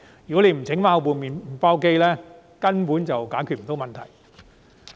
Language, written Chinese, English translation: Cantonese, 如果不把麵包機修好，根本不能解決問題。, So long as the bread maker is not fixed the problem will basically remain unsolved